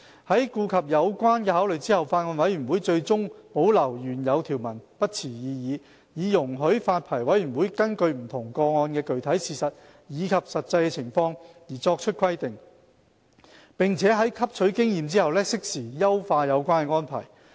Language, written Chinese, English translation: Cantonese, 在顧及有關考慮後，法案委員會最終對保留原有條文不持異議，以容許發牌委員會根據不同個案的具體事實及實際情況作出規定，並在汲取經驗後適時優化有關安排。, Having taken into account the relevant considerations the Bills Committee finally does not object to retaining the original provisions so as to allow the Licensing Board to set out requirements based on the specific facts and actual situations of different cases and refine the arrangements in due course after drawing experience from practice